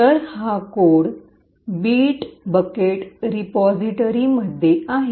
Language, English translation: Marathi, So, this code is present in the bit bucket repository